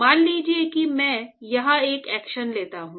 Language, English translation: Hindi, So, supposing I take a section here